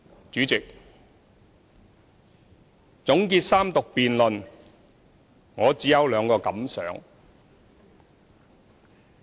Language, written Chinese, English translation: Cantonese, 主席，總結三讀辯論，我只有兩個感想。, President in concluding the Third Reading debate I wish to share with Members two major feelings